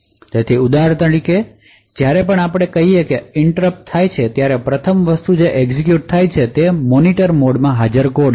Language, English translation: Gujarati, So for example whenever there is let us say that an interrupt occurs the first thing that gets executed is code present in the Monitor mode